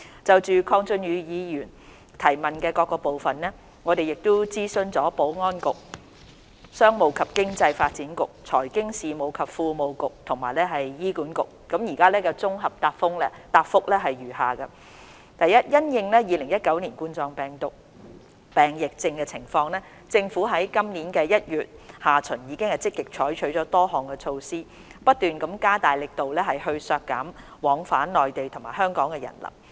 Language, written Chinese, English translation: Cantonese, 就鄺俊宇議員所提質詢的各部分，經諮詢保安局、商務及經濟發展局、財經事務及庫務局及醫院管理局後，我現在綜合答覆如下：一因應2019冠狀病毒病疫情的情況，政府自今年1月下旬已積極採取多項措施，不斷加大力度削減往返內地與香港的人流。, In consultation with the Security Bureau Commerce and Economic Development Bureau Financial Services and the Treasury Bureau and Hospital Authority HA my reply to the various parts of the question raised by Mr KWONG Chun - yu is as follows 1 In view of the latest situation of the COVID - 19 outbreak the Government has taken a number of measures proactively since late January this year to further reduce the flow of people between the Mainland and Hong Kong